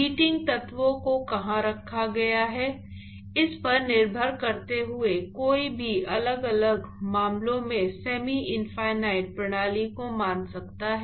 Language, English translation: Hindi, Depending upon where the heating elements are placed, one could assume in different cases semi infinite system all right